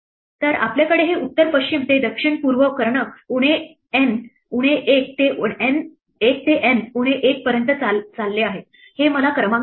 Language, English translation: Marathi, So, we have these north west to south east diagonals running from minus N minus 1 to N minus 1 this gives me the number if at